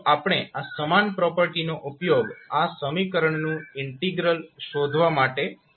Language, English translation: Gujarati, So the same property we will use for finding out the integral of this particular equation